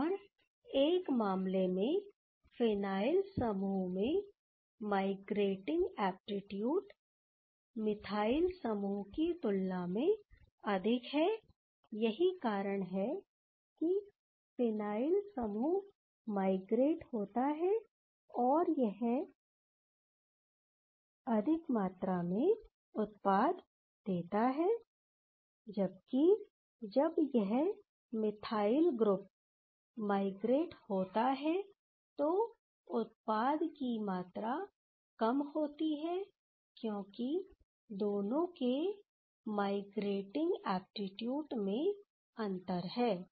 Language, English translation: Hindi, And in one case, if the phenyl groups migrating aptitude is higher than the methyl group that is why, phenyl group is migrating and giving the more amount of product, whereas when the methyl group is migrating the amount of product is less because of their difference in the migrating aptitude ok